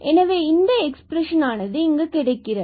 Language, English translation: Tamil, So, let us prove this result, how do we get these expressions